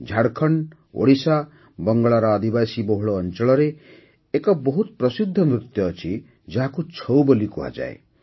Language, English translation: Odia, There is a very famous dance in the tribal areas of Jharkhand, Odisha and Bengal which is called 'Chhau'